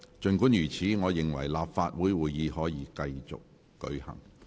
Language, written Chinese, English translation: Cantonese, 儘管如此，我認為立法會會議可以繼續進行。, Nevertheless I consider that the meeting of the Legislative Council may continue